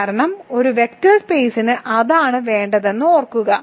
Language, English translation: Malayalam, Because remember that is what we need for a vector space